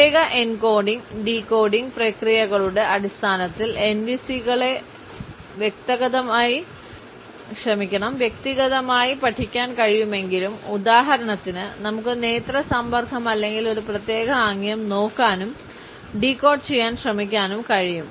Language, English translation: Malayalam, Though NVCs can be studied individually in terms of separate encoding and decoding processes; for example, we can look at eye contact or a particular gesture and can try to decode it